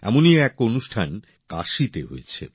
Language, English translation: Bengali, One such programme took place in Kashi